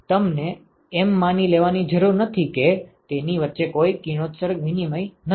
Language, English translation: Gujarati, You do not have to assume that there is no radiation exchange between itself